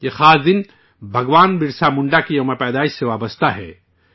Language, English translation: Urdu, This special day is associated with the birth anniversary of Bhagwan Birsa Munda